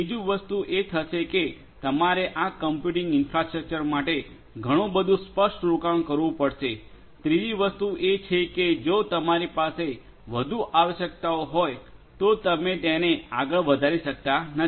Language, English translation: Gujarati, Second thing that will happen is you have to have lot of upfront investment for this computing infrastructure, as a third thing that is going to happen is that if you have further requirements you cannot expand further